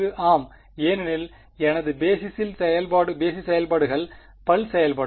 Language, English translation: Tamil, Yes so because my basis functions are pulse functions